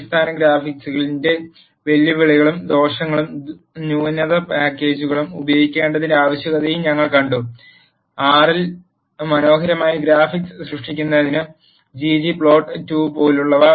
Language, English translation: Malayalam, We have also seen the challenges and disadvantages of basic graphics and the need for using the advanced packages; such as g g plot two for generating beautiful graphics in R